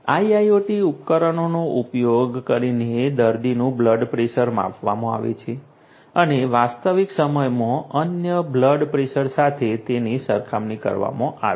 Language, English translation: Gujarati, Using IIoT devices the patient’s blood pressure is measured and compared with the other blood pressures in real time